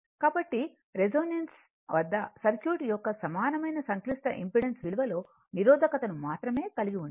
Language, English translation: Telugu, So, so, thus at resonance the equivalent complex impedance of the circuit consists of only resistance right